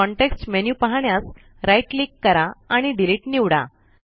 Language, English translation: Marathi, Right click to view the context menu and select Delete